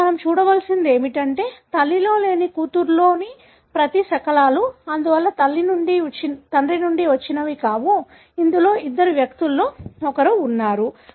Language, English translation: Telugu, Now, what we need to look at, whether each one of the fragments in the daughter that is not present in the mother, therefore likely to have come from father, is present in which one of the two individual